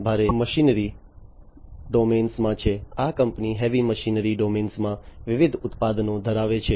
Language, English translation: Gujarati, This is in the heavy machinery domain; this company has different products in the heavy machinery domain